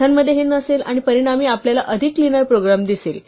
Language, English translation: Marathi, Python will not have this and then we will see a much cleaner program as a result